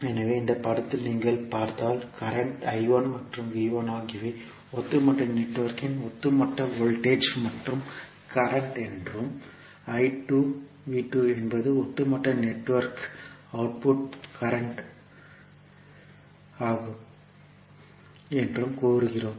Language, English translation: Tamil, So, if you see in this figure, we say that current I 1 and V 1 is the overall voltage and current of the overall network, and V 2 I 2 is the output port current of the overall network